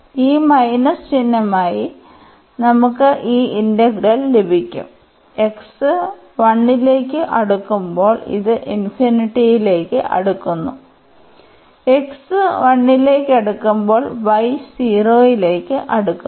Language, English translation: Malayalam, So, this we will get this integral as this minus sign and this will be approaching to infinity when x is approaching to 1 when x is approaching to 1 the y will approach to